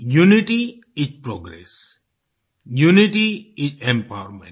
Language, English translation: Hindi, Unity is Progress, Unity is Empowerment,